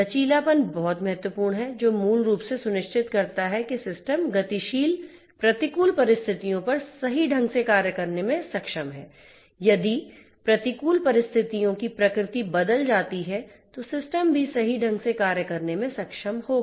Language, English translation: Hindi, Resilience is very important which basically ensures that the system is able to function correctly on adversarial on dynamic adversarial conditions; if the nature of the adversaries changes, then also the system would be able to function correctly